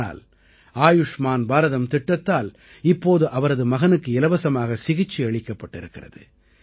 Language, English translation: Tamil, But due to the 'Ayushman Bharat' scheme now, their son received free treatment